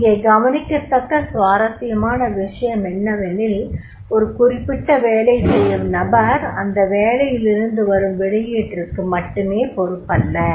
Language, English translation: Tamil, And here is interesting to note that is a particular job is the person who is working that job only is not responsible for the output